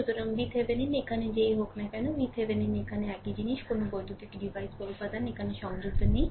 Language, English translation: Bengali, So, whatever V Thevenin is here, V Thevenin is here same thing no electrical your devices or element is connected here, right